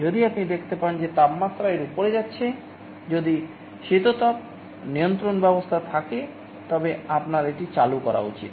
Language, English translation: Bengali, If you find the temperature is going above it, if there is an air conditioning mechanism, you should be turning it on